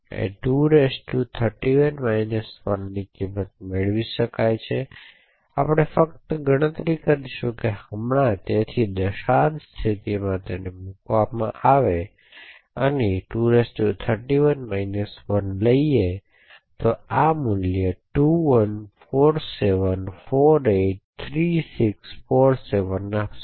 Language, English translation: Gujarati, So, the value of 2^31 minus 1 can be obtained we will just calculate that right now, so it is put in decimal mode and we take 2^31 1 would give be this particular value 2147483647